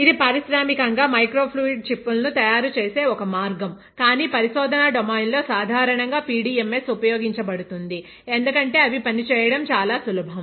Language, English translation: Telugu, That is one way of industrially making microfluidic chips but in a research domain usually PDMS is used because they are really easy to work with and fabricate ok